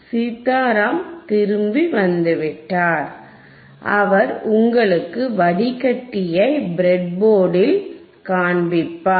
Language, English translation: Tamil, Sitaram is back and he will show you the filter he will show you the filter on on the breadboard